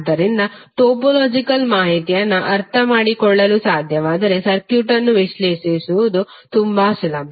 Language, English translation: Kannada, So if you can understand the topological information, it is very easy for you to analyze the circuit